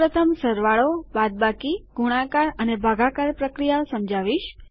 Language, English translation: Gujarati, Ill first go through plus, minus, multiply and divide operations